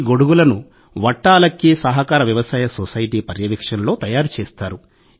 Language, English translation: Telugu, These umbrellas are made under the supervision of ‘Vattalakki Cooperative Farming Society’